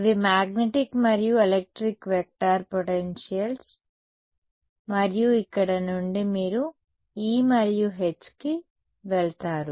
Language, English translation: Telugu, These are magnetic and electric vector potentials and from here you go to E and H